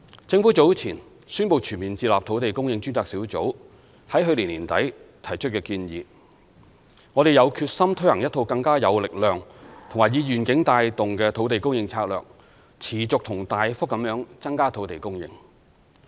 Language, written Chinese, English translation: Cantonese, 政府早前宣布全面接納土地供應專責小組在去年年底提出的建議，我們有決心推行一套更有力量及以願景帶動的土地供應策略，持續及大幅地增加土地供應。, The Government earlier announced its full acceptance of the recommendations tendered by the Task Force on Land Supply Task Force at the end of last year . We are determined to implement a more robust and visionary land supply strategy to sustain and significantly increase land supply